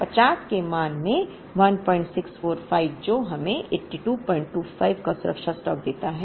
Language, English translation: Hindi, 645 into the assumed value of 50 which gives us a safety stock of 82